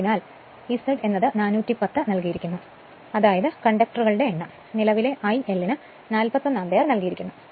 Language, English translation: Malayalam, So, Z is equal to given 410, that number of conductor that this current I L is given 41 ampere, flux is given 0